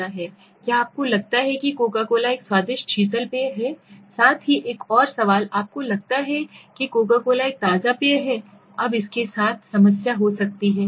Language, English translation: Hindi, Do you think coco cola is a tasty soft drink, plus another question do you think coco cola is the refreshing drink, now with this there could be the problem